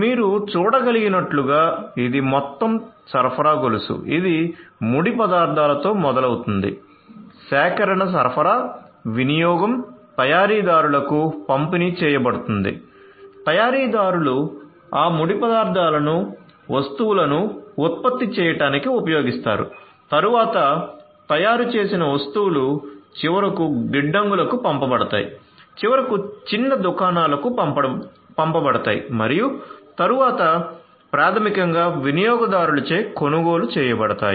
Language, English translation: Telugu, So, as you can see this is the whole supply chain; this is this whole supply chain all right, it starts with the raw materials, procurement supply use being delivered to the manufacturers, the manufacturers use those raw materials to produce the goods the goods are then the manufactured goods are then distributed sent to the warehouses finally, to the little shops and then are basically purchased by the customers